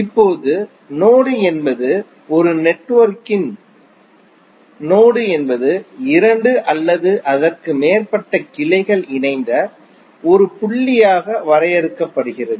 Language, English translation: Tamil, Now, node is the network node of a network is defined as a point where two or more branches are joined